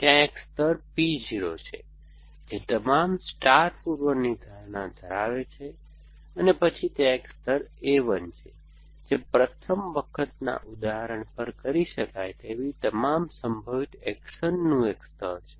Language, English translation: Gujarati, So, there is a layer P 0 which is, which contains all the star prepositions, then there are, there is a layer A 1, which is a layer of all possible actions, which can be done at the first time instance